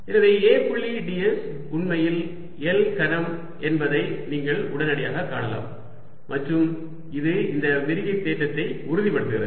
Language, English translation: Tamil, so you can see immediately that a dot d s is indeed l cubed and that confirms this divergence theorem